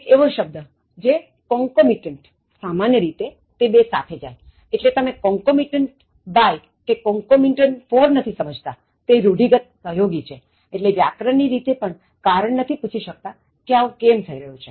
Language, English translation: Gujarati, There is a word like concomitant, so it goes normally with two or with, so you will not have concomitant by, concomitant for, so that goes by convention, it is a collocation, so even grammatically you cannot reason out why it is happening like that